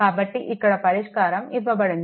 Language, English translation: Telugu, So, solution is given